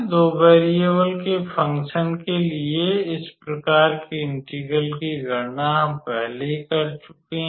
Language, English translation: Hindi, So, this type of integral calculation for the function of two variable we have already done